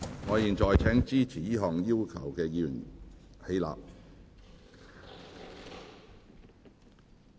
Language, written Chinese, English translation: Cantonese, 我現在請支持這項要求的議員起立。, I now call upon Members who support this request to rise in their places